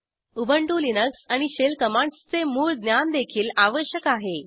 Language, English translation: Marathi, Basic knowledge of Ubuntu Linux and shell commands is also required